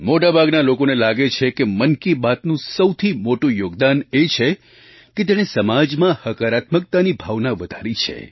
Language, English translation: Gujarati, Most people believe that the greatest contribution of 'Mann Ki Baat' has been the enhancement of a feeling of positivity in our society